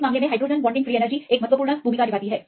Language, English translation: Hindi, In this case the hydrogen bonding free energy also plays an important role